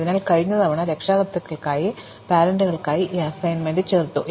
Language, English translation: Malayalam, So, last time, we added this assignment for the parent